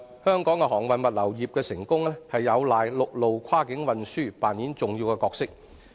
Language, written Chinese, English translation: Cantonese, 香港航運物流業得以成功，陸路跨境運輸扮演重要角色。, Cross - boundary land transport plays an important role in the success of Hong Kongs shipping and logistics industries